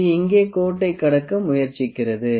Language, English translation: Tamil, It is trying to cross the line here